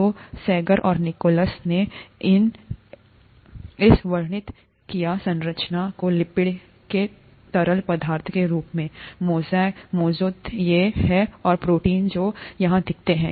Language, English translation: Hindi, So Sanger and Nicholson described this structure as a fluid mosaic of lipids which are these and proteins which are seen here